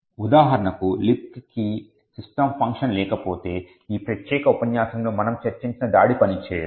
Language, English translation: Telugu, For example, if the LibC does not have a system function, then the attack which we have discussed in this particular lecture will not function